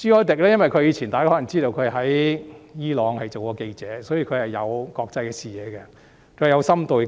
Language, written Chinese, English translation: Cantonese, 大家可能知道，他曾經在伊朗當記者，所以他擁有國際視野，有深度分析能力。, Members may know that he used to work as a journalist in Iran and he therefore has an international outlook and is capable of doing deep analysis